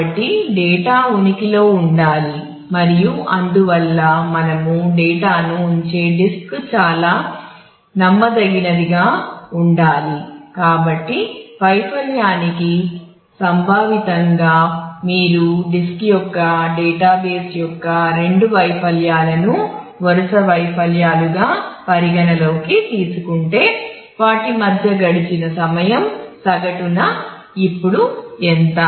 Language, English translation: Telugu, So, meantime to failure is conceptually that if you consider two failures of the database of the disk to consecutive failures then what is the time the time elapsed between them the average of the time that has elapse between them now